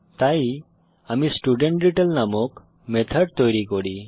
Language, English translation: Bengali, So let me create a method named StudentDetail